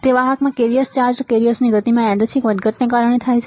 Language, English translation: Gujarati, It is caused by the random fluctuations in the motion of carrier charged carriers in a conductor